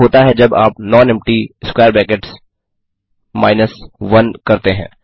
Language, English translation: Hindi, What happens when you do nonempty[ 1]